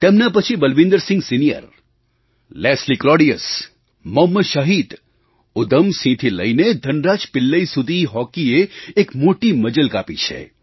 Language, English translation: Gujarati, Then, from Balbeer Singh Senior, Leslie Claudius, Mohammad Shahid, Udham Singh to Dhan Raj Pillai, Indian Hockey has had a very long journey